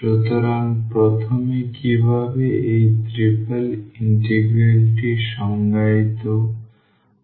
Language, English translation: Bengali, So, first how to define this triple integral